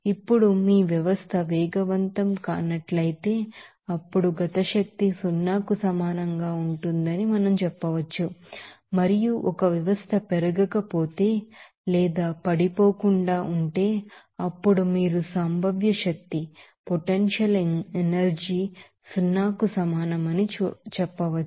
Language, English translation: Telugu, Now, if your system is not accelerating, then we can say that the kinetic energy will be equal to zero and, if a system is not rising or falling, then you can see that potential energy is equal to zero